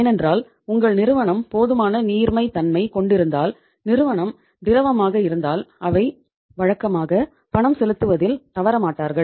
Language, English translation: Tamil, Because if the firm is liquid if your firm is having sufficient liquidity then they would not default normally in making the payment